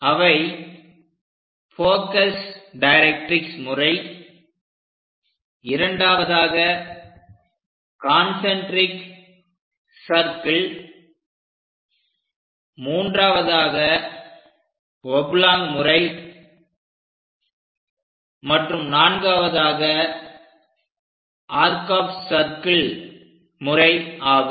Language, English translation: Tamil, In principle, there are four methods available Focus Directrix method, second one is Concentric circle method, third one is Oblong method, and fourth one is Arc of circle method